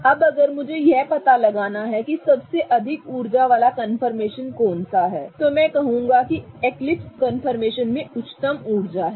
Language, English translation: Hindi, Now, if I have to figure out which is the highest energy confirmation, I would say that eclipsed confirmations are the highest energy, right